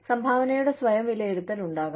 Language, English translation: Malayalam, There could be self assessment of contribution